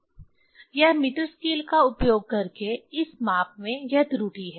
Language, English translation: Hindi, It is a result, this is a error in this measurement using the meter scale